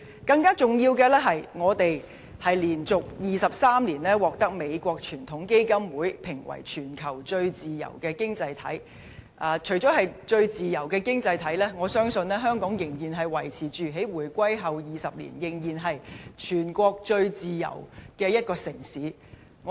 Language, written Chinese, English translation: Cantonese, 更重要的是，香港連續23年獲美國傳統基金會評為全球最自由經濟體，除了是最自由經濟體，我相信香港在回歸後20年，仍然是全國最自由的一個城市。, More importantly the Heritage Foundation of the United States has ranked Hong Kong as the worlds freest economy for the 23 consecutive year . Apart from being the freest economy I believe that Hong Kong is still the freest city in the whole country 20 years after the reunification